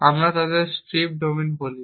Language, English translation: Bengali, So, we had describing strips domains now